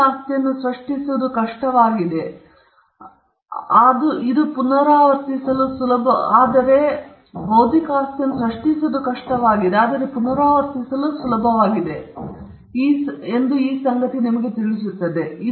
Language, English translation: Kannada, All these things tell us, that though it is hard to create a intellectual property, it is easy to replicate